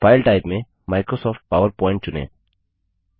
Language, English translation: Hindi, In the file type, choose Microsoft PowerPoint